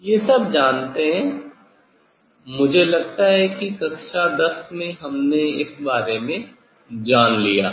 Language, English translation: Hindi, these are well known I think class, in class 10 we have learned about this